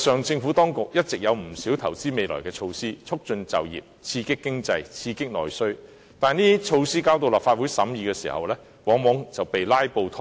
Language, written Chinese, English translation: Cantonese, 政府當局一直有不少投資未來的措施，促進就業，刺激經濟及內需，但這些措施交到立法會審議時，往往卻被"拉布"拖延。, The Administration has all along proposed many measures to make investment for the future promote employment and stimulate the economy and internal demand . But when these measures are tabled to the Legislative Council for deliberation they are often delayed by filibusters